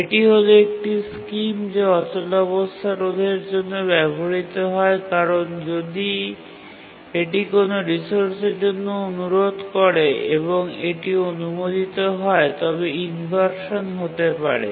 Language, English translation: Bengali, And this is the scheme that is used for deadlock prevention because if it requests a resource and it's just granted it can cause deadlock